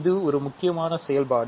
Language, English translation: Tamil, This is an important operation